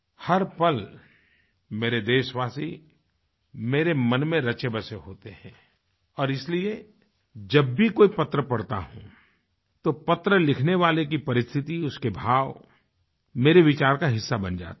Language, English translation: Hindi, My countrymen stay in my heart every moment and that is how the writer's situation and ideas expressed in the letter become part of my thought process